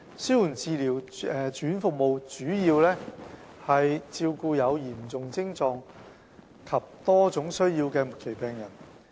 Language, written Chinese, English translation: Cantonese, 紓緩治療住院服務主要照顧有嚴重徵狀及多種需要的末期病人。, Palliative care inpatient services are mainly provided for terminally ill patients with severe symptoms and multiple needs